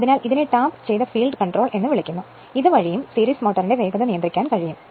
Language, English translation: Malayalam, So, this way also this is called tapped field control, this way also you can control the your what you call that your control the speed of the series motor right